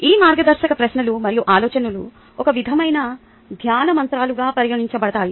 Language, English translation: Telugu, these guiding questions and thoughts can be regarded as some sort of mantras for meditation, right